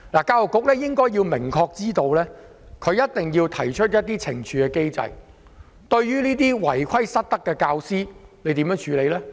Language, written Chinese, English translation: Cantonese, 教育局應該明確知道的一點是，它一定要制訂懲處機制，處理違規失德的教師。, The Education Bureau should know very well that it must set up a punishment mechanism to deal with violation of the law by and misconduct of teachers